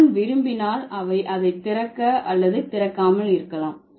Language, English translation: Tamil, John if he wants, he may or he may not open it